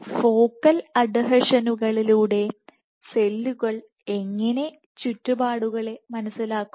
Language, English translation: Malayalam, And how do the cells sense the surroundings through focal adhesions